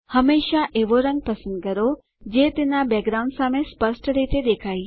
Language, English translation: Gujarati, Always choose a color that is visible distinctly against its background